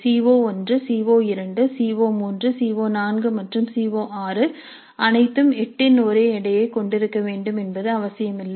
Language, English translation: Tamil, It is not necessary that CO1, CO2, CO3, CO4 and CO6 all must carry the same weight of 8